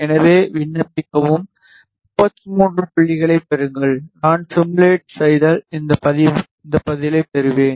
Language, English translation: Tamil, Apply, get 51 points ok and if I simulate I get this response